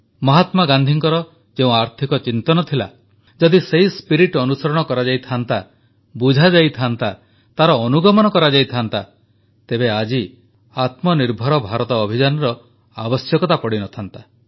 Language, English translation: Odia, The economic principles of Mahatma Gandhi, if we would have been able to understand their spirit, grasp it and practically implement them, then the Aatmanirbhar Bharat Abhiyaan would not have been needed today